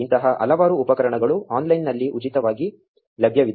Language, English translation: Kannada, There are many such tools available online for free